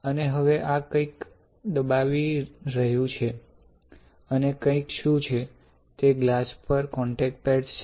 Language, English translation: Gujarati, And now this is pressing something alright, and what is the something; something is, there are contact pads on the glass